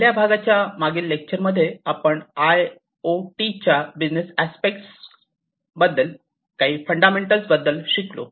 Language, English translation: Marathi, In the first part, what we have gone through in the previous lecture was some of the fundamentals of the business aspects of IoT